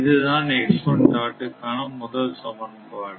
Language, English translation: Tamil, This is first equation right